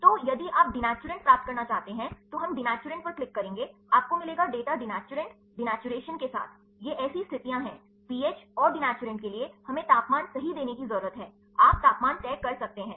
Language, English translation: Hindi, So, if you want to get the denaturants then we will click on denaturant, you will get the data with the denaturants denaturation, these are conditions so, pH and for the denaturants we need to give the temperature right, you can decide temperature